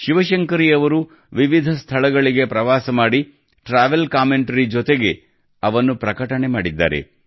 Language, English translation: Kannada, Shiv Shankari Ji travelled to different places and published the accounts along with travel commentaries